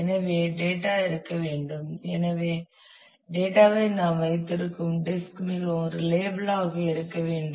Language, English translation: Tamil, So, data has to exist and therefore, the disk on which we keep the data must be very very reliable